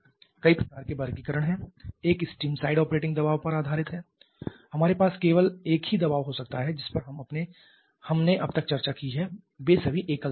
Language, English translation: Hindi, There are several types of classifications one is based upon the steam side operating pressure we can have a single pressure just the ones that we have discussed so far they are all single pressure